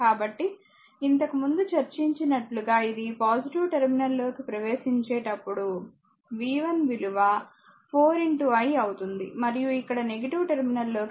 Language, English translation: Telugu, So, when it is entering plus terminal earlier we have discuss, v 1 will be 4 into i and here entering the minus terminal